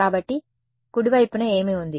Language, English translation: Telugu, So, what was on the right hand side